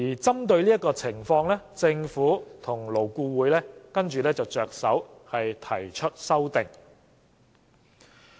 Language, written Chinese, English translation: Cantonese, 針對這情況，政府及勞工顧問委員會遂提出修訂。, In order to address the situation the Government and the Labour Advisory Board LAB thus proposed to amend the Ordinance